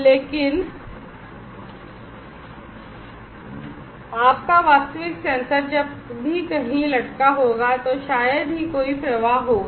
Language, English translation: Hindi, But your actual sensor whenever it will be hang somewhere, there will hardly any flow